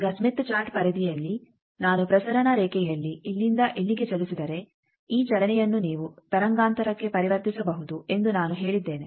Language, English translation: Kannada, Now in the Smith Chart periphery I said that this movement you can convert to a wavelength if I move in the transmission line by so and so